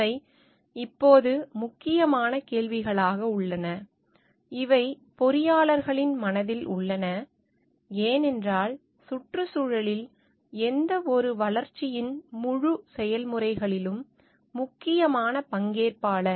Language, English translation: Tamil, These are now important questions, which are there in the mind of engineers, because in environment is an where important stakeholder in the whole process of development